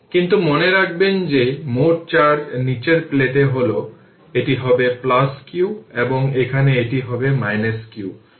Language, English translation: Bengali, But remember that total charge will be either, if the bottom plate, this will be plus q or here it will be minus q, but total will be 0